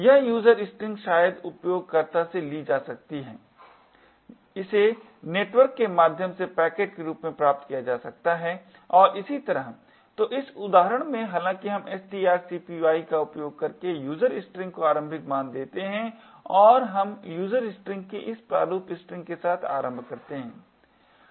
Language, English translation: Hindi, This user string could be perhaps taken from the user, it could be obtained from as a packet through the network and so on, so in this example however we use user string initialised using string copy and we initialise user string with this format string okay